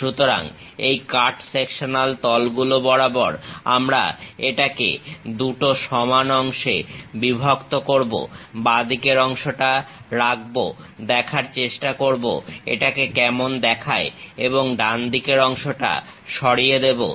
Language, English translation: Bengali, So, we split this into two equal parts through this cut sectional plane, keep the left part, try to visualize how it looks like and remove the right side part